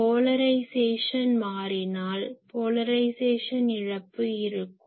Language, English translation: Tamil, If polarization change , then there will be polarization loss